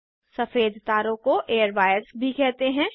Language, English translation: Hindi, White wires are also called as airwires